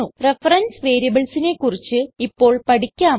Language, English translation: Malayalam, Now let us learn about reference variables